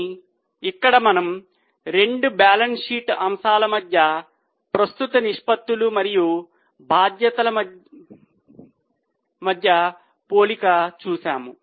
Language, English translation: Telugu, But here we just compare between current assets and liabilities between two balance sheet items